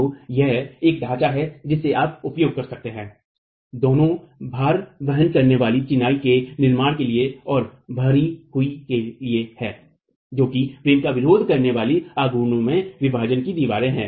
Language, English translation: Hindi, So, this is a framework that you can use both for load bearing masonry constructions and for infill which are partitioned walls in moment resisting frames